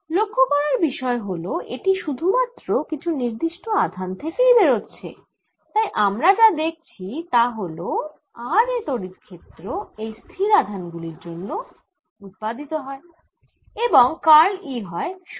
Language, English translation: Bengali, the point is that it is coming out of certain charges, so, none the less, what we are seeing is that electric field at r is arising out of these static charges and therefore curl of e is zero